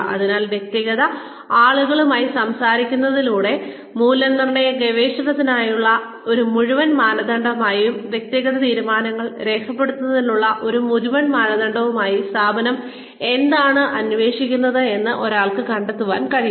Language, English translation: Malayalam, So, by speaking to individual people, one can find out, what the organization may be looking for as, a whole criteria for validation research, documenting personnel decisions